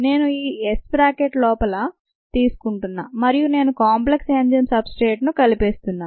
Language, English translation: Telugu, i am just taking this s inside the bracket and then i am combining the terms which have the enzyme substrate complex